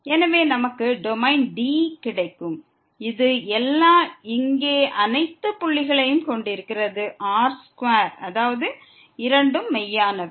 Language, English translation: Tamil, And therefore, we get the domain D which is all contains all the points here in means both are the real